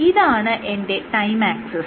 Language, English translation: Malayalam, So, this is my again time axis